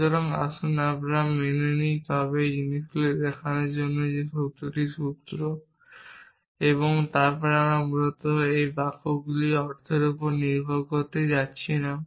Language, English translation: Bengali, So, let us accept that, but the thing is to show that this formula is true, we are not going to rely on the meaning of those sentences essentially